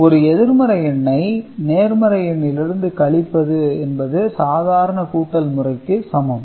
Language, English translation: Tamil, And if you want to subtract a negative number; so, negative number subtraction is what